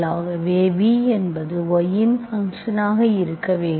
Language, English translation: Tamil, This is only a function of v and x